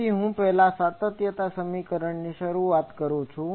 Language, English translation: Gujarati, So, I just first invoke the continuity equation